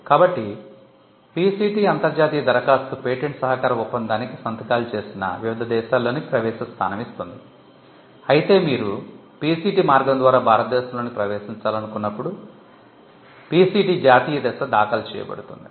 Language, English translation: Telugu, So, the PCT international application gives you an entry point into different countries, which are all signatories to the Patent Cooperation Treaty; whereas, the PCT national phase is filed, when you want to enter India through the PCT route